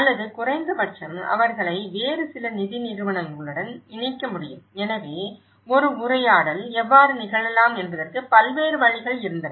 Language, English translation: Tamil, Or at least, they can link with some other funding agencies you know, so there were various ways how a dialogue can happen